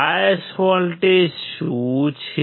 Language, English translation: Gujarati, What are the bias voltages